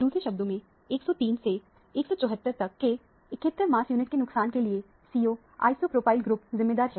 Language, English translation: Hindi, In other words, this CO isopropyl group is responsible for the loss of 71 mass unit from 103 to 174